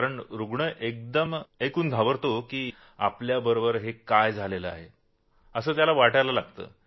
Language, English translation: Marathi, Because the patient gets traumatized upon hearing what is happening with him